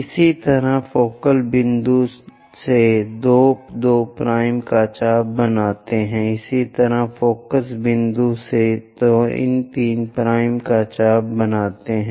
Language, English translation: Hindi, Similarly, from focal point make an arc of 2 2 dash, similarly from focus point make an arc of 3 3 dash and so on